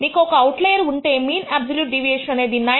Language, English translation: Telugu, The moment you have an outlier, the mean absolute deviation shifts to 9